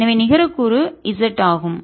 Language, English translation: Tamil, therefore, the net component is z